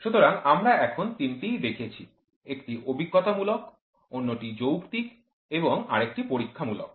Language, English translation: Bengali, So, we have seen three now; one is empirical, the other one is rational and the experimental one